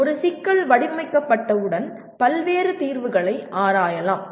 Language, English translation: Tamil, Once a problem is formulated, various solutions can be explored